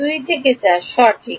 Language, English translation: Bengali, 2 to 4 correct